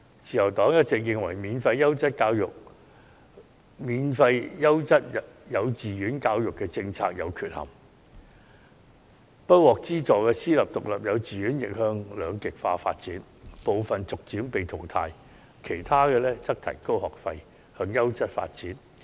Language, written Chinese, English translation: Cantonese, 自由黨一直認為，免費優質幼稚園教育政策有缺憾，不獲資助的私立獨立幼稚園亦將向兩極化發展，部分會逐漸被淘汰，其他則會提高學費，以提高辦學質素。, The Liberal Party has always held the view that there are imperfections in the policy of free quality kindergarten education . Non - subsidized private independent kindergartens are becoming more polarized as some are being phased out while others are charging increasingly higher fees to enhance their quality in teaching